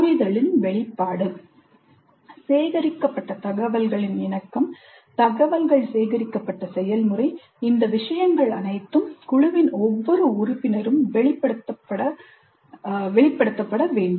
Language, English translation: Tamil, The articulation of the understanding, the relevance of the information gathered, the process by which information gathered, all these things must be articulated by every member of the group